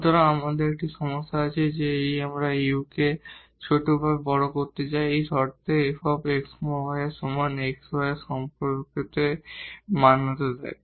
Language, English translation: Bengali, So, we have a problem that we want to minimize or maximize this u is equal to f x y under this condition that x y satisfies this relation